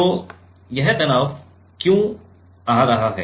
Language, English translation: Hindi, And, why this stress is coming